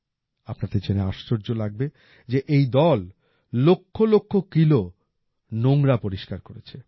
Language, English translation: Bengali, You will be surprised to know that this team has cleared lakhs of kilos of garbage